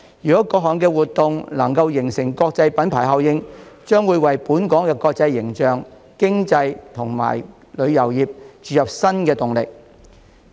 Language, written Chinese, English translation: Cantonese, 如果各項活動能夠形成國際品牌效應，將會為本港國際形象、經濟及旅遊業注入新動力。, If these events can create an international branding impact this will enhance Hong Kongs international image and provide new impetus for its economy and tourism industry